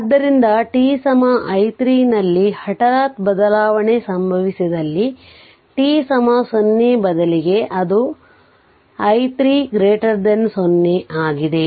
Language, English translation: Kannada, So, instead of t is equal to 0 if the sudden change occurs at t is equal to t 0 that is t 0 greater than 0 right